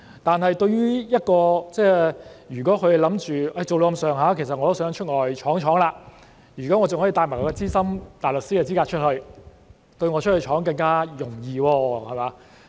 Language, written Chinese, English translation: Cantonese, 但對於另一些人，如果他們是想在律政司工作一段時間後便往外闖，而如能帶着資深大律師的資格往外闖，便會更容易。, But for others if they want to work in DoJ for a period of time and then move on to explore external opportunities it will be easier to do so with their SC qualifications